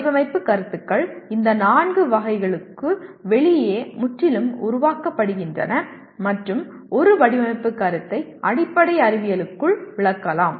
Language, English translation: Tamil, Design concepts are generated completely outside these four categories and a design concept can be explained within/ with the underlying science